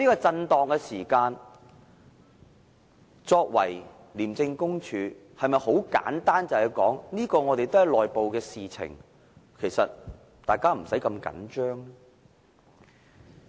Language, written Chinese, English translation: Cantonese, 面對這種震盪時，廉署能否十分簡單地說，這是內部的事情，大家無須那麼緊張呢？, In the face of this shock can ICAC put it in a simple way and say it is only an internal issue and the public need not be that anxious?